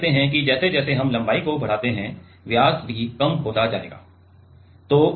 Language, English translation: Hindi, So, what is we see that diameter will also decrease as we increase the length right